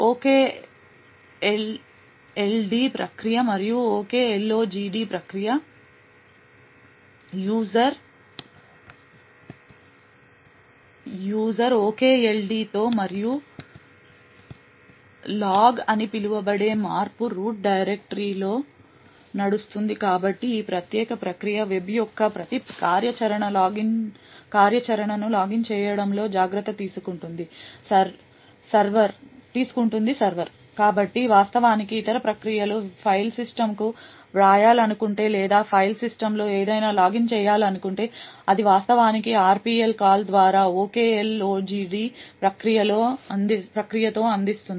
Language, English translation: Telugu, One is the OKD process and the OKLOGD process, the OKLOGD process runs with the user OKLOGD and in the change root directory called log, so this particular process takes a care of logging every activity of the web server, so in fact if other processes want to actually write to the file system or want to actually log something on the file system, it would actually communicate with the OKLOGD process through the RPC call